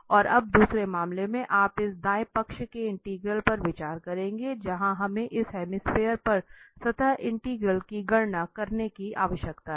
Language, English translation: Hindi, And now in this in the second case, you will consider this right side integral where we need to compute the surface integral over this hemisphere